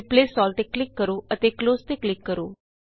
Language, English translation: Punjabi, Now click on Replace All and click on Close